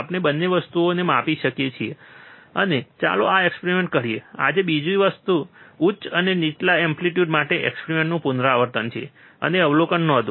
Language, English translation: Gujarati, We can measure both the things, and let us do this experiment, today another thing is repeat the experiment for higher and lower amplitudes and note down the observations